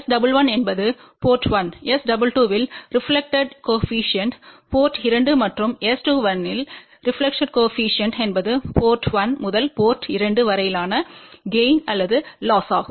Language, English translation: Tamil, S 11 is reflection coefficient at port 1, S 22 is reflection coefficient at port 2 and S 21 is a measure of gain or loss from port 1 to port 2